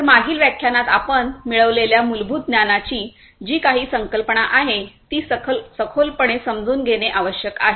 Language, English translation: Marathi, So, we need to understand in depth whatever concepts the fundamental knowledge that we have acquired in the previous lectures